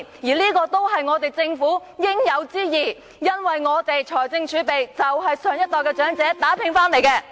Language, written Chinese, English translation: Cantonese, 這些都是政府應有之義，因為我們的財政儲備就是長者年青時打拼得來的。, These are the due obligations of the Government because our fiscal reserve has been hard - earned by the elderly persons when they were young